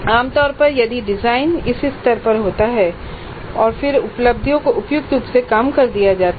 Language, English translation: Hindi, So, typically the design happens at this level and then the attainments are scaled down suitably